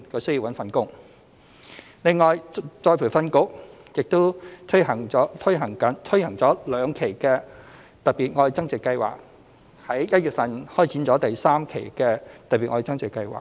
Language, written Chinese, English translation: Cantonese, 此外，僱員再培訓局亦已推行了兩期"特別.愛增值"計劃，並在今年1月開展第三期的"特別.愛增值"計劃。, In addition after launching two tranches of the Love Upgrading Special Scheme ERB has also launched the third tranche of the Special Scheme in January this year